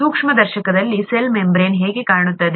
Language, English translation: Kannada, How does the cell membrane look like, in a microscopic sense